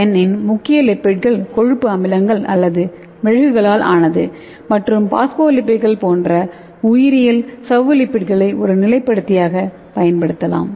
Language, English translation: Tamil, and we will have the solid lipid core and this core lipids can be made up of fatty acids or waxes and the biologic membrane lipids such as phospholipids can be utilized as a stabilizer okay